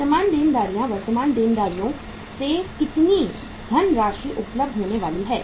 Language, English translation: Hindi, Current liabilities how much funds are going to be available from the current liabilities